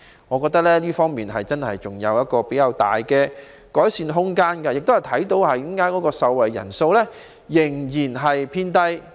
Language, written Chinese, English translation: Cantonese, 我覺得這方面真的有較大的改善空間，而這亦是受惠人數仍然偏低的原因。, I think there is indeed much room for improvement in this area and this is why the number of beneficiaries has remained low